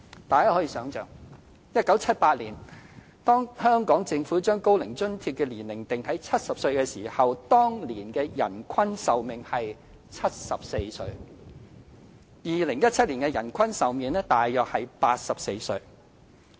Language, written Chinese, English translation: Cantonese, 大家可以想象 ，1978 年當香港政府將高齡津貼的年齡定在70歲或以上時，當年的人均壽命約為74歲 ；2017 年的人均壽命則約為84歲。, Imagine the situation in 1978 when the age requirement for receiving OAA was set at 70 or above by the Government of Hong Kong . The average life expectancy back then was about 74 years whereas in 2017 that figure was about 84 years